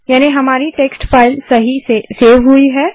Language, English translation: Hindi, So our text file has got saved successfully